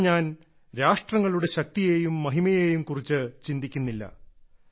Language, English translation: Malayalam, " Here I am not thinking about the supremacy and prominence of nations